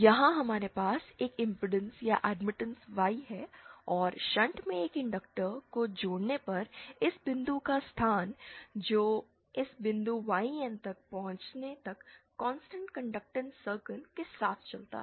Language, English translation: Hindi, Here we have this impedance or admittance Y and on connecting inductor in shunt, the locus of this point which moves along a constant conductance circle till it reaches this point YN